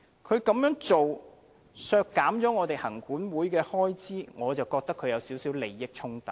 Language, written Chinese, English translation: Cantonese, 他如此削減行管會的開支，我認為有少許利益衝突。, Since he is calling for cutting the Commissions expenditure I think he has a conflict of interest to a certain extent